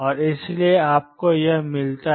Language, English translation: Hindi, And therefore, you get this